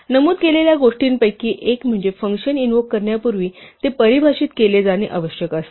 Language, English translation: Marathi, One of the things that we mentioned up front was that a function must be defined before it is invoked